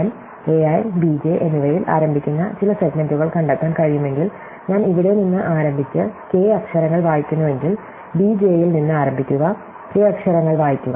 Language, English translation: Malayalam, So, if I can find some segments starting with a i and b j, such that if I start from here and I read off k letters, then start from b j and I read off k letters